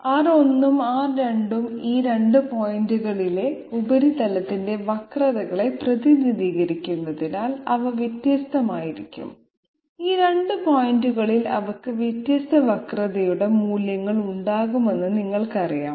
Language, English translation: Malayalam, They can well be different because R 1 and R 2, they represent the curvatures of the surface at these 2 points and at these 2 points they are you know they can have different values of curvature